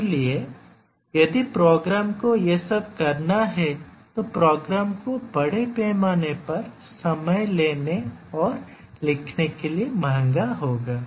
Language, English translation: Hindi, If your program has to do all these then the program will be enormously large and it will be time consuming and costly to write